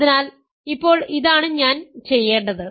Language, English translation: Malayalam, So, now this is what I want to do